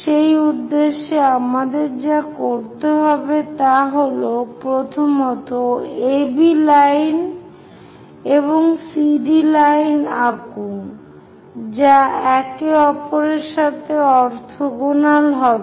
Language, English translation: Bengali, For that purpose, what we have to do is, first of all, draw AB line, draw CD line orthogonal to each other